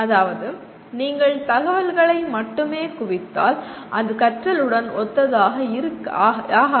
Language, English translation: Tamil, That means merely if you accumulate information that is not synonymous with learning at all